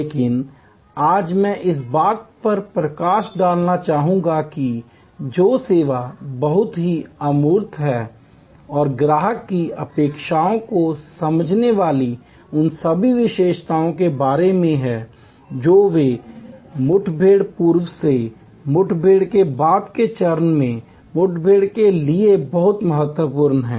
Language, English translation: Hindi, But, today I would like to highlight that in service which is highly intangible and has all those other characteristics understanding customer expectation as they flow from pre encounter to encounter to post encounter stage is very important